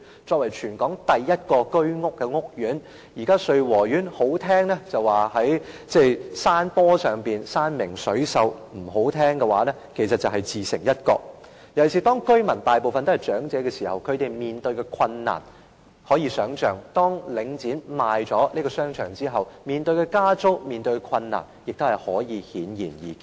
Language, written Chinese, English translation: Cantonese, 作為全港第一個居屋屋苑，說得動聽一點，穗禾苑位於山坡上，山明水秀；說得難聽一點，其實是自成一角，尤其是當大部分居民均是長者，他們面對的困難可想而知，而當領展售出該商場後，市民面對的加租和其他困難亦顯而易見。, Being the first Home Ownership Scheme court in Hong Kong Sui Wo Court is put it in a more pleasant way situated on a slope commanding a beautiful view on the natural landscapes . But to put it bluntly it is actually situated at a secular corner . In particular most of the residents are elderly people